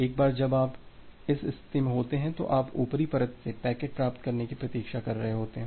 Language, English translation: Hindi, Once you are in this state in that case, you are waiting for receiving the packet from the upper layer